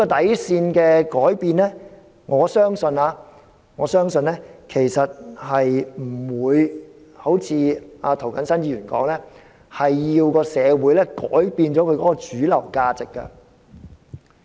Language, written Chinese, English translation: Cantonese, 我相信改變這條底線不會如涂謹申議員所說，社會要改變其主流價值。, I believe such change does not necessarily mean what Mr James TO has said that is the mainstream values in society will have to be changed